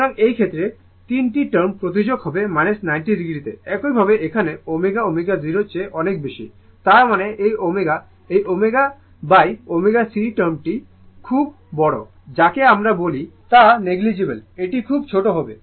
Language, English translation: Bengali, So, in this case 3 term will tends to minus 90 degree, similarly here omega is much much higher than omega 0 ; that means, with this omega is very large this omega upon omega C term is what we call is negligible it will it is very small